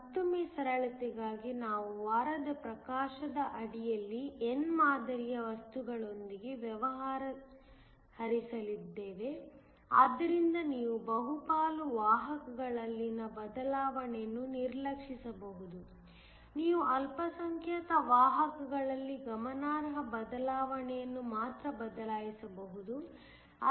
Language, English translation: Kannada, Again for simplicity, we are going to deal with an n type material under week illumination so that, you can ignore the change in the majority carriers, you only change a significant change will be in the minority carriers